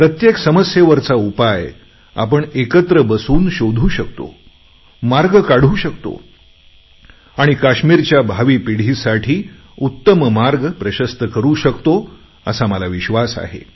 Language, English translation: Marathi, I am very sure that by sitting together we shall definitely find solutions to our problems, find ways to move ahead and also pave a better path for future generations in Kashmir